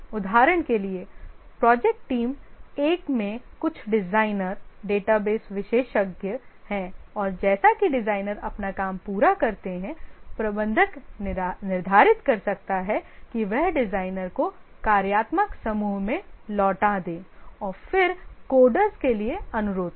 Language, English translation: Hindi, For example, project team one might have some designers, database experts, and as the designers complete their work, the manager may determine, you will return the designer to the functional group and then request for coders and so on